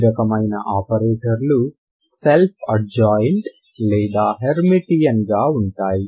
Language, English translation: Telugu, You have already seen that this kind of operator ok is Self adjoint or Hermitian